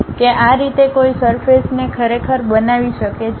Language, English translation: Gujarati, This is the way one can really construct a surface